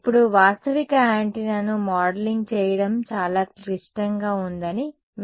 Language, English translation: Telugu, Now, let me on you that modeling realistic antenna is quite complicated